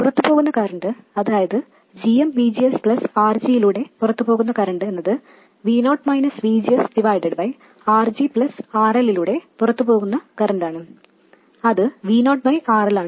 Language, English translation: Malayalam, The current flowing out here that is GM VGS plus the current flowing out in RG is VO minus VG by RG plus the current flowing out in RL is VO by RL and all these things sum to zero